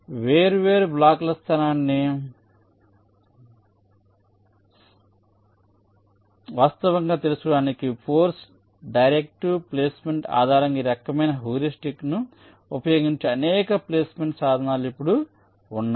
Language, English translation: Telugu, now there has been a number of such placement tools which use this kind of heuristic, based on force directive placement, to actually find out the location for the different blocks